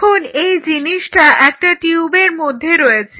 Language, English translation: Bengali, Now, you have this in a tube